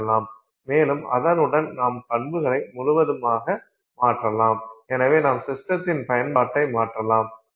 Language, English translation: Tamil, And with that you can completely change the properties and therefore you can change the utility of the system